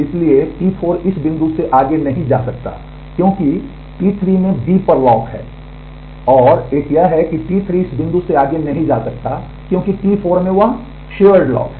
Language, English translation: Hindi, So, T 4 cannot go beyond this point because T 3 has the lock on B and, one is this T 3 cannot go beyond this point because T 4 has that shared lock